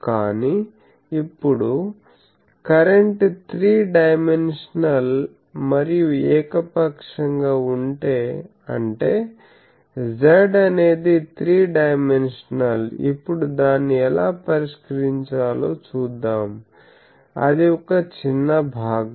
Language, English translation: Telugu, But now, if current is three dimensional and arbitrarily; that means, Z is 3 dimensional, how to solve that that we will see now, that is a small part